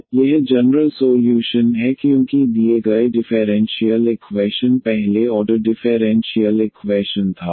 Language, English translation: Hindi, So, this is the general solution because the given differential equation was the first order differential equation